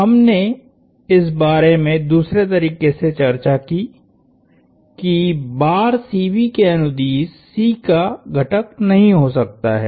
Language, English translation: Hindi, We talked about this the other way that C cannot have a component along the rod CB